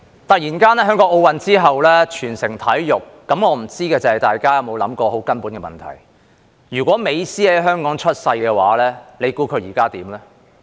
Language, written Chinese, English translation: Cantonese, 突然間，在奧林匹克運動會之後，香港全城體育，我不知道大家有否想過一個很根本的問題：如果美斯在香港出生，你猜他現在會怎樣？, After the Olympic Games a citywide sports craze suddenly emerges . I wonder if Members have thought about a very fundamental question If Lionel MESSI had been born in Hong Kong what do you think he would be doing now?